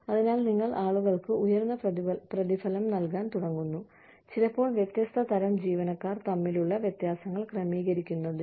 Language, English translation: Malayalam, So, you start paying people higher, sometimes, just to adjust for differences between, different types of employees